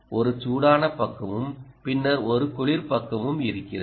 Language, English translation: Tamil, there is a hot side and then there is a cold side